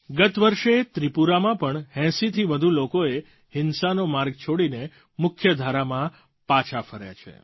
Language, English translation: Gujarati, Last year, in Tripura as well, more than 80 people left the path of violence and returned to the mainstream